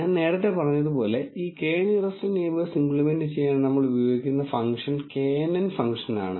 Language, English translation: Malayalam, As I said earlier, the function which we use to implement this K nearest neighbours is knn function